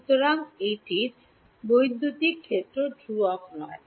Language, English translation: Bengali, So, its E electric field is not constant